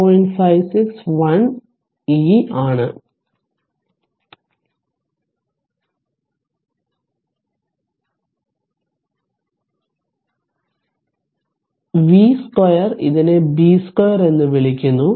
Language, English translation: Malayalam, 56 upon 1 e to the power minus your v square is your what you call it is b square